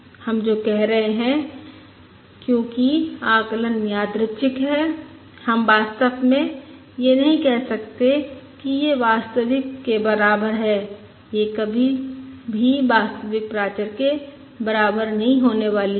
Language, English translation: Hindi, What we are saying is, because the estimate is random, we cannot exactly say that it is equal to the true, it is never going to be equal to the true parameter h